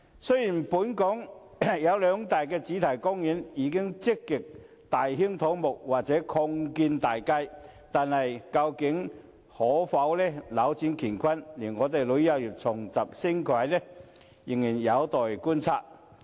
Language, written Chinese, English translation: Cantonese, 雖然本港兩大主題公園已經積極大興土木或有擴建大計，但究竟可否扭轉乾坤，令旅遊業重拾升軌，仍有待觀察。, Even though the two major theme parks in Hong Kong have been actively carrying out construction or expansion plans whether this can bring about a radical change and boost the tourism industry again remains to be seen